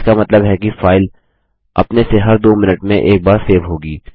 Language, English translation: Hindi, This means that the file will automatically be saved once every two minutes